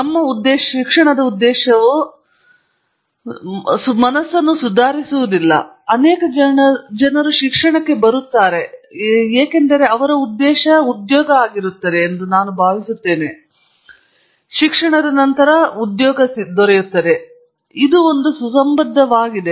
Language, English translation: Kannada, Then but the purpose of education is refinement of mind not employment; I think that is important to realize many people come to education thinking this will lead to employment afterwards; it does but that is a corollary